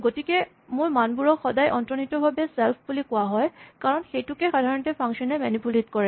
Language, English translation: Assamese, So, my values are always implicitly called self, because that is the one that is typically manipulated by a function